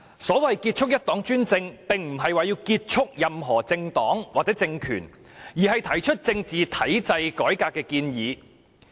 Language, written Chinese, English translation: Cantonese, 所謂"結束一黨專政"，並非旨在結束任何政黨或政權，而是就政治體制改革提出建議。, The so - called end the one - party dictatorship slogan is not intended to end any political party or political regime . Instead it is a proposal on political structural reform